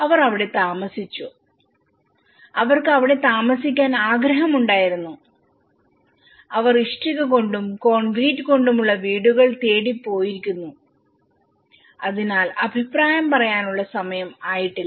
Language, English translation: Malayalam, They just stayed, they wanted to stay there and they have gone for the brick and concrete houses so this is too early to comment